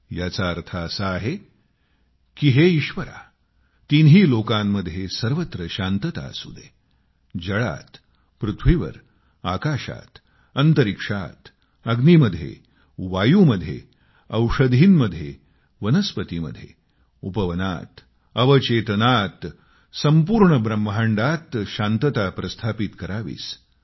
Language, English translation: Marathi, It means O, Lord, peace should prevail all around in all three "Lokas",in water, in air, in space, in fire, in wind, in medicines, in vegetation, in gardens, in sub conscious, in the whole creation